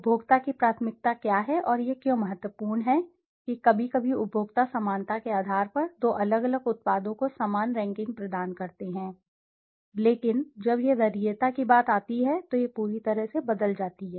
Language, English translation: Hindi, What is the as of preference of the consumer and why it is important is that sometimes consumers on basis of similarity they provide similar rankings to two different products, but when it comes to preference it entirely changes